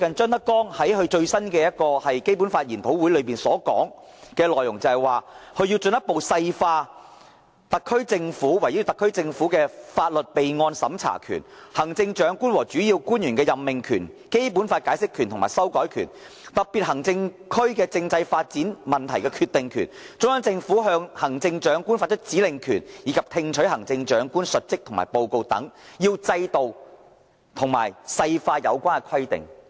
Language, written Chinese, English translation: Cantonese, 張德江最近甚至在一個《基本法》研討會上指出，對於"圍繞對特別行政區法律備案審查權、行政長官和主要官員任命權、《基本法》解釋權和修改權、特別行政區政制發展問題決定權、中央政府向行政長官發出指令權，以及聽取行政長官述職和報告權等，要制定和細化有關規定"。, ZHANG Dejiang has even pointed out recently in a seminar on the Basic Law that with regard to the power to record and scrutinize legislation of the Special Administrative Region the power to appoint the Chief Executive and principal officials the power to interpret and amend the Basic Law the power to make policy decisions on the constitutional development of the Special Administrative Region the Central Governments power to issue instructions and orders to the Chief Executive and receive work reports from the Chief Executive further details have to be worked out on the relevant rules and regulations